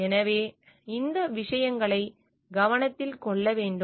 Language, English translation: Tamil, So, these things need to be taken into consideration